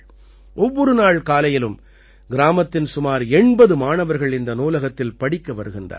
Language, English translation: Tamil, Everyday about 80 students of the village come to study in this library